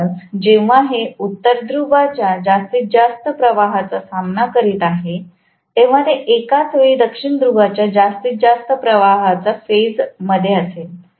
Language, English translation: Marathi, So, when this is actually facing the maximum flux of the North Pole, this will simultaneously phase the maximum flux of the South Pole